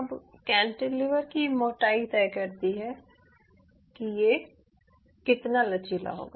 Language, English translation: Hindi, now, thickness of the cantilever decides how much flexing it will show